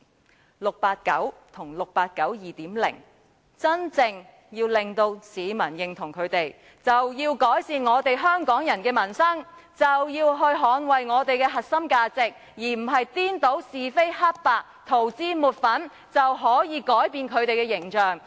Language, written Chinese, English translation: Cantonese, 如果 "689" 和 "689 2.0" 想得到市民的真正認同，便要改善香港人的民生，捍衞我們的核心價值，而不是顛倒是非黑白，塗脂抹粉，以為這樣便可以改變他們的形象。, If 689 and version 2.0 of 689 really want to win any real public approval they should strive to improve the livelihood of Hong Kong people and defend our core values . They should never try to confound right and wrong and resort to whitewashing thinking that they can alter their images by doing so